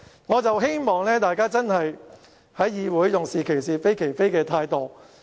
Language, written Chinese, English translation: Cantonese, 我希望大家在議會裏，用是其是，非其非的態度。, I hope that we in the legislature should call a spade a spade